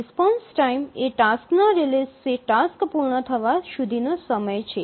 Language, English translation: Gujarati, The response time is the time from the release of the task till the task completion time